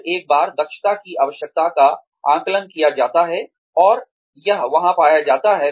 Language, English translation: Hindi, Then, once the requirement for efficiency is assessed, and it is found to be there